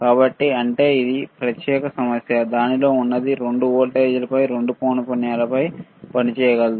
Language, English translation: Telugu, So, that is that is a separate issue that what is within it so that it can operate on both the voltages both the frequency